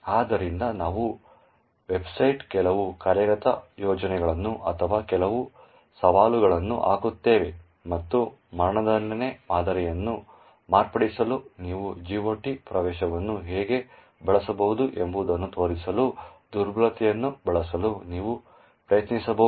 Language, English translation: Kannada, So we will putting up a few assignments or some challenges on the website and you could actually try to use the vulnerabilty to show how you could use a GOT entry to modify the execution pattern